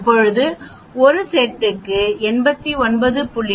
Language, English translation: Tamil, Now we have 89